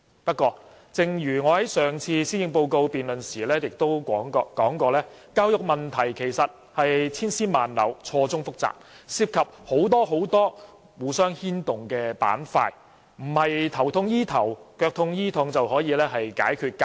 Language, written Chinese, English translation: Cantonese, 不過，正如我在之前的施政報告辯論中指出，教育問題千絲萬縷，錯綜複雜，涉及很多互相牽動的板塊，並不是"頭痛醫頭，腳痛醫腳"可以解決。, However as I said earlier in the policy debate education problems are intricate and complicated involving different interactive areas which cannot be resolved by stopgap measures